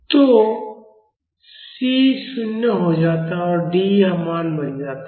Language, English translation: Hindi, So, C becomes 0 and D becomes this value